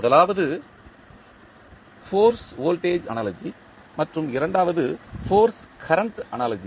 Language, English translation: Tamil, First one is force voltage analogy and second is force current analogy